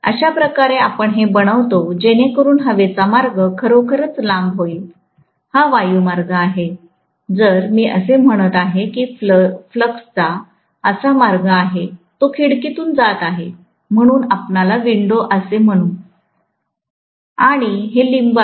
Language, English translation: Marathi, This is how we make it so that the air path really becomes longer, this is the air path, if I am saying that the flux is having a path like this, it is going through the window, so we call this as the window and these are limbs, right